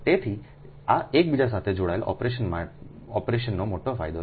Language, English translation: Gujarati, so these are the major advantage of interconnected operation